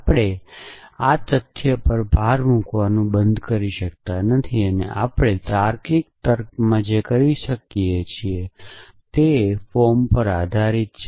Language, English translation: Gujarati, So, we cannot stop emphasizing the fact that everything that we do in logical reasoning is based on forms essentially